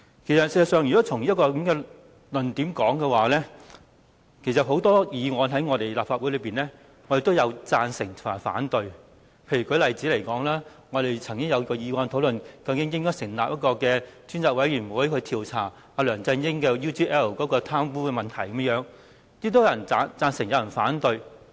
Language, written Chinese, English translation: Cantonese, 事實上，如果從這個論點來說，很多議案在議會既有人贊成，也有人反對。例如，我們曾經提出議案討論應否成立專責委員會，調查梁振英收取 UGL 利益的貪污事件，最終有人贊成，也有人反對。, In fact if we follow this argument since many motions in this Council are either supported or opposed by Members such as the motion proposed to discuss whether a select committee should be set up to investigate the incident of corruption of LEUNG Chun - ying in receiving benefits from UGL which eventually had its supporters and critics does it mean that Members who support the motion are humans whereas those who oppose it are demons?